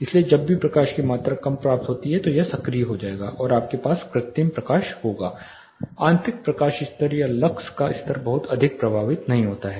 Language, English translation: Hindi, So, whenever there is a less amount of light which is received this will get activated and you will have artificial light interior light levels or lux levels does not get drastically effected